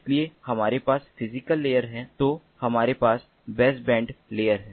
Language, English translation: Hindi, so these are the things that are basically supported in the baseband layer